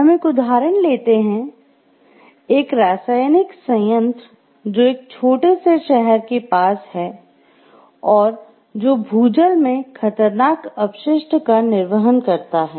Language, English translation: Hindi, We will take it for an example chemical plant which is near a small city that discharges a hazardous waste into groundwater